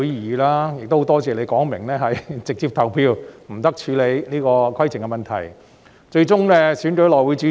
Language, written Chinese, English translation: Cantonese, 我亦很感謝當時主席表明應直接投票，不得處理規程問題，最終順利選出內會主席。, I also thank him for specifying that we should proceed straight to balloting and should not hear points of order . The new HC Chairman was successfully elected in the end